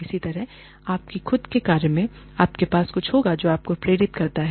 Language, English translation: Hindi, Similarly, in your own jobs, you will have something, you know, that motivates you